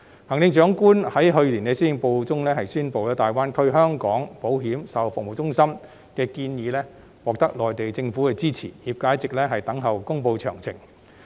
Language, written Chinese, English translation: Cantonese, 行政長官在去年施政報告中宣布，大灣區香港保險售後服務中心的建議獲得內地政府的支持，業界一直等候公布詳情。, The Chief Executive announced in her Policy Address last year that the proposal on after - sales service centres for Hong Kong insurance in GBA was supported by the Mainland Government and the industry has been waiting for the announcement of further details since then